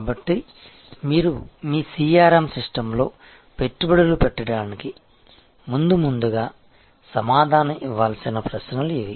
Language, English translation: Telugu, So, these are the questions, which must be answered first before you invest into your CRM system